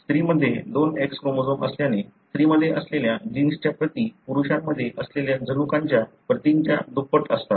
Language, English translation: Marathi, Because there are two X chromosomes in female, the copies of the gene that are there in a female also is twice as the number of gene copies that are there in the male